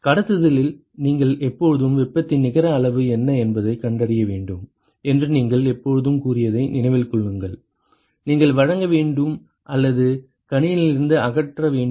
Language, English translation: Tamil, Remember that in conduction you always said you always have to find out what is the net amount of heat that you have to supply or remove from the system